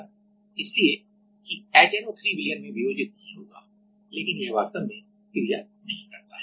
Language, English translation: Hindi, So, that the HNO3 will not dissociates dissociating into the solution, but it does not actually reacts